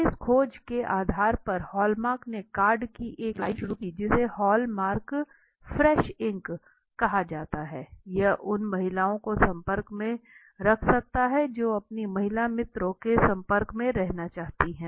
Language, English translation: Hindi, So based on this finding Hallmark started a line of cards known Hallmark fresh ink that may keep women in touch who wanted to keep in touch with their female friends